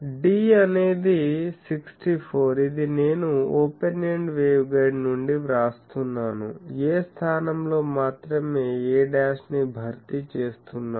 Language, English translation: Telugu, D is 64 this is I am writing from open ended waveguide, only a is replaced by a dash